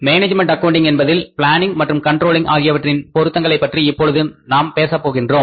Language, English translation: Tamil, Here now we will talk about the relevance of planning and controlling in management accounting